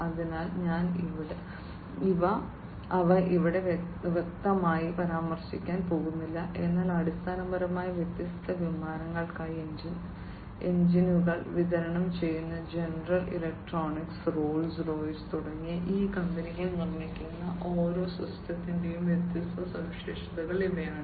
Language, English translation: Malayalam, So, I am not going to mention them over here explicitly, but these are the different features for each of the systems that are produced by these companies like general electric and Rolls Royce, who basically supply the engines for the different aircrafts